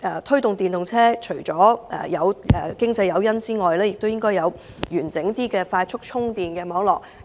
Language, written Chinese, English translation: Cantonese, 推動電動車除了要有經濟誘因，亦要有較完整的快速充電網絡。, Apart from economic incentives we need to provide a comprehensive network of quick chargers to promote the use of electric vehicles